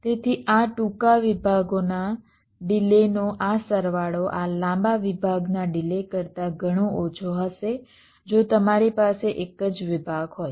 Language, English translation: Gujarati, so this sum of the delays of these shorter segments will be much less then the delay of this long segment if you have a single segment